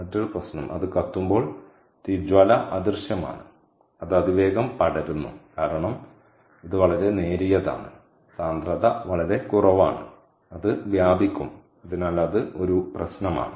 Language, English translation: Malayalam, when it burns, the flame is invisible and it spreads rapidly, because this is very light, right, the density is so low that it will spread, so that is a problem